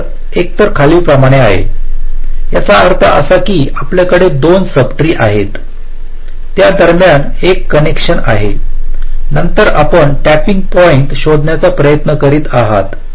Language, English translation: Marathi, that means: ah, you have two subtrees, ah, there is a connection between then you are trying to find out the tapping point